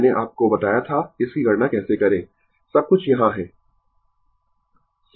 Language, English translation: Hindi, I told you how to calculate it; everything is here, right